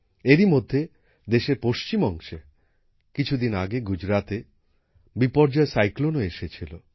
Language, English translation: Bengali, Meanwhile, in the western part of the country, Biparjoy cyclone also hit the areas of Gujarat some time ago